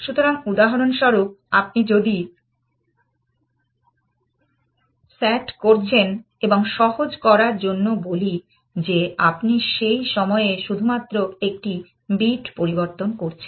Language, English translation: Bengali, So, for example if you are doing S A T and let us say for simplicity sake that, you are changing only one bit at the time